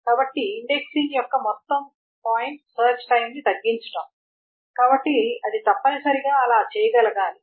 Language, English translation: Telugu, So the whole point of indexing is to reduce the search time, so it must be able to do so